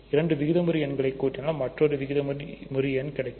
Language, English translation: Tamil, So, if you add two rational numbers you get a rational number